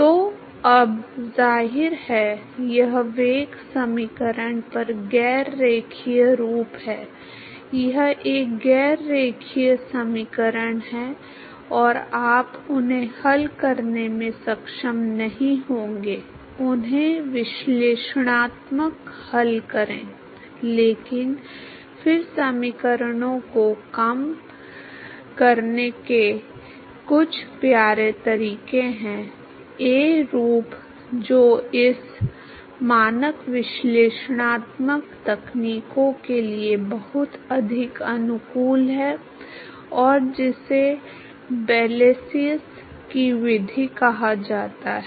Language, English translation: Hindi, So, now, obviously, this is non linear look at the velocity equation, it is a non linear equation and you will not be able to solve them solve them analytical, but then there are some cute ways of reducing the equations to a form which is much more amenable to these standard analytical techniques, and that is given by what is called the Method of Blasius